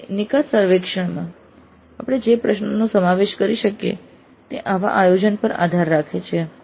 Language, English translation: Gujarati, So, questions that we can include in the exit survey depend on such planning